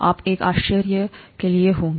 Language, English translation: Hindi, You would be in for a surprise